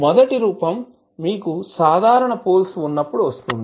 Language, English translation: Telugu, So, first form is when you have simple poles